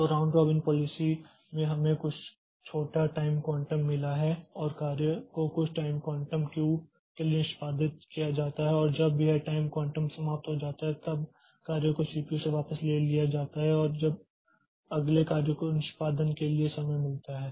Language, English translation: Hindi, So, this round robin policy we have got some small time quantum and the job is executed for some time quantum queue and when the time quantum expires then the job is taken back from the CPU and the next job gets the time for execution